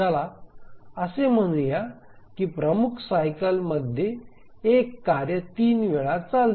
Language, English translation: Marathi, Let's say the task one runs three times in the major cycle